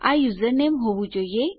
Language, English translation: Gujarati, This should be username